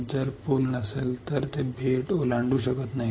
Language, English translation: Marathi, If there is no bridge then they cannot cross the island